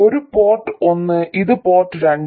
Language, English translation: Malayalam, This is port 1 and this is port 2